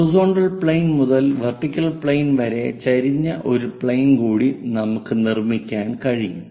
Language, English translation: Malayalam, Take one more plane which is normal to both horizontal plane and also vertical plane